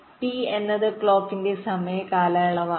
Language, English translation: Malayalam, ok, t is the clock period